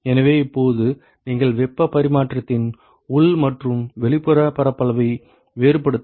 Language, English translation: Tamil, So, now, you have to distinguish between the inside and the outside surface area of heat transfer ok